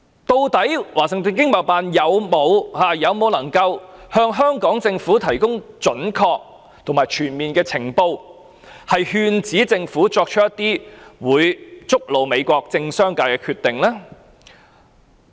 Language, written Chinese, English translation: Cantonese, 究竟華盛頓經貿辦能否向香港政府提供準確和全面的情報，勸止政府作出會觸怒美國政商界的決定？, Is the Washington ETO capable of providing accurate and comprehensive information for the Hong Kong Government so as to dissuade the Hong Kong Government from making any provocative decisions to the political and business sectors of the United States?